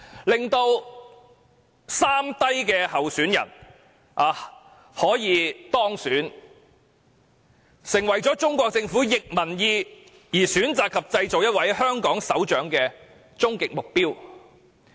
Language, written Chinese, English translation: Cantonese, 令"三低"候選人當選，成為中國政府逆民意而選擇及製造一位香港首長的終極目標。, Ensuring the winning of the three lows candidate and appointing a Chief Executive of Hong Kong in defiance of public opinion has become the ultimate goal of the Chinese Government